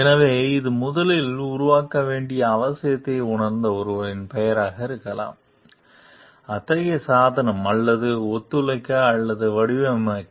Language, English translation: Tamil, So, it could be the name of someone who first felt the need to develop, such a device or to collaborate or designing it